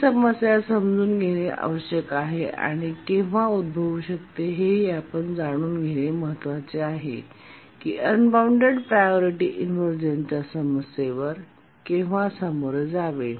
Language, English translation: Marathi, Must understand what this problem is, when does it arise and how to overcome the problem of unbounded priority inversion